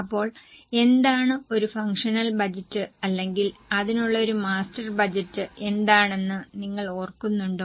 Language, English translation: Malayalam, So, do you remember what is a functional budget or what is a master budget for that matter